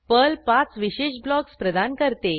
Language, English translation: Marathi, Perl provides 5 special blocks